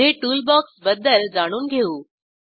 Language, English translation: Marathi, Next lets learn about Toolbox